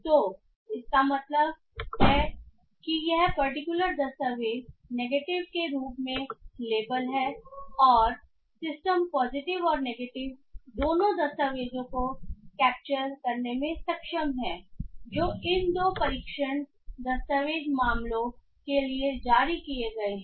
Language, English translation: Hindi, So this means this particular document is labeled as negative and the system is able to capture both the cases of positive and negative documents at least for these two test document cases